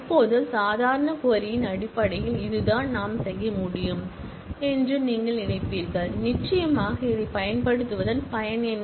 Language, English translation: Tamil, Now, you would think that, well this is what we can do in terms of the normal query and certainly then, what is the point of using this